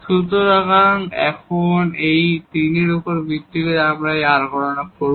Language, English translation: Bengali, So, based on these 3 now, we will compute these r